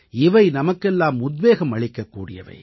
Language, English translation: Tamil, This is an inspiration to all of us too